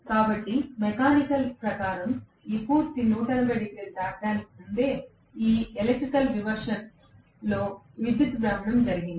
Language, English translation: Telugu, So, electrical rotation in this electrical reversion has taken place even before it has traversed the complete 180 degrees as per as mechanical is concerned